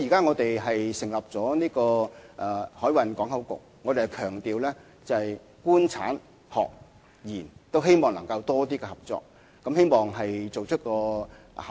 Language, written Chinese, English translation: Cantonese, 我們現時已成立了海運港口局，強調透過"官產學研"更充分的合作，希望做出效果。, Now HKMPB has been set up which stresses the full cooperation of the Government industry academia and the research sector and we look forward to seeing the results